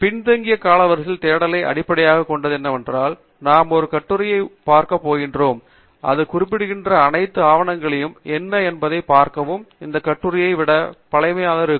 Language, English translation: Tamil, The backward chronological search basically what it means is that we are going to look at an article, and see what are all the papers that it is referring to, which will be basically older than the article